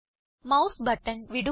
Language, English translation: Malayalam, Release the mouse button